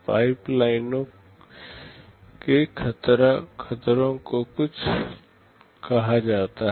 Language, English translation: Hindi, There are something called pipeline hazards